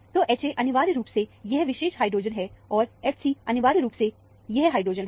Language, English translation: Hindi, So, the H a is essentially, this particular hydrogen, here, and the H c is essentially, this hydrogen